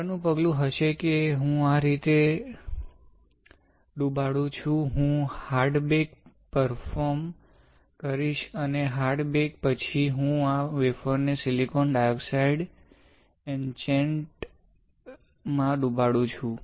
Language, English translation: Gujarati, The next step would be I will dip this way of, I will perform hard bake and after hard bake, I will dip this wafer in silicon dioxide etchant